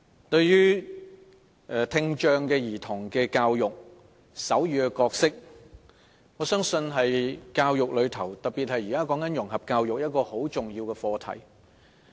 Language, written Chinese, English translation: Cantonese, 我相信，在聽障兒童教育，特別是現時的融合教育方面，手語是一個非常重要的課題。, I believe that as far as the education for children with hearing impairment is concerned in particularly integrated education sign language is a very important subject